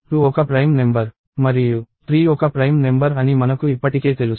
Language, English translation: Telugu, I already know that 2 is a prime number and 3 is a prime number